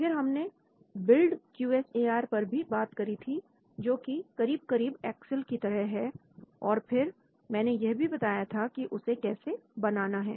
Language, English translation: Hindi, Then, I also talked about BuildQSAR, which almost looks like an excel and then I showed how to build that